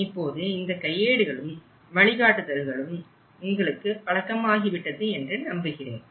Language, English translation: Tamil, I hope you are familiar with these manuals now and the guidance, thank you very much